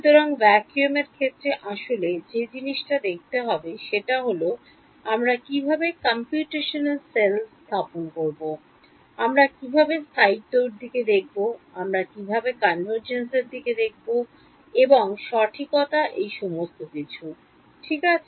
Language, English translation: Bengali, So, far in vacuum looked at the main thing how do you set up the computational cell, how do you look at stability, how do you look at convergence and accuracy all of those things right